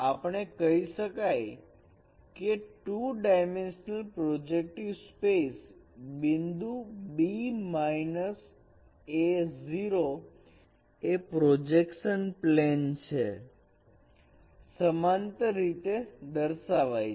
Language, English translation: Gujarati, So we will say that in the two dimensional projective space this point B minus A 0 it is represented as a point in a plane which is parallel to the projection plane